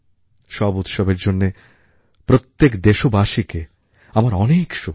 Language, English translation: Bengali, I extend my best wishes to all countrymen for these festivals